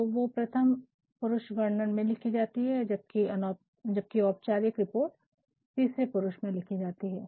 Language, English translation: Hindi, So, they may be written in the first person narrative whereas, a formal report will be written in the third person narrative